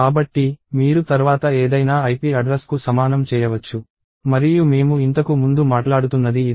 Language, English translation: Telugu, So, you may do ip equals address of something later and this is what I was talking about earlier